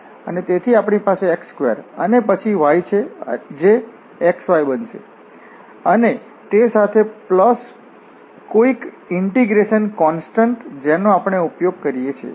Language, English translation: Gujarati, So, we have x square and then y that will be x y and plus some this constant of integration term with what we use